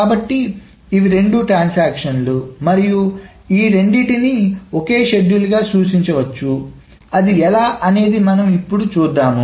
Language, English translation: Telugu, So these are the two transactions and both of them can be represented in a single schedule and this is how it can be represented